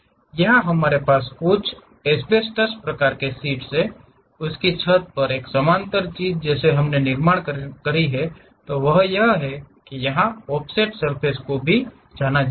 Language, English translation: Hindi, Here, we have some asbestos kind of sheet, the roof a parallel thing we would like to construct, that is what we call offset surfaces here also